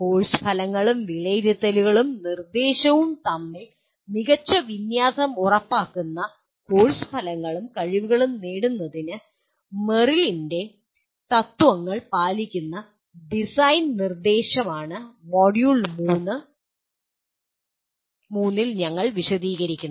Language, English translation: Malayalam, And module 3 is design instruction following Merrill’s principles which we will elaborate at that time for attaining the course outcomes and competencies ensuring good alignment between course outcomes, assessment and instruction